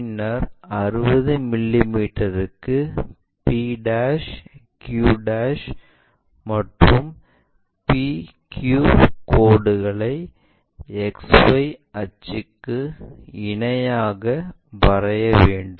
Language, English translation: Tamil, Then draw 60 mm long lines p dash q dash and p q parallel to XY axis